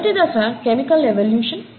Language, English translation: Telugu, The very first phase is of chemical evolution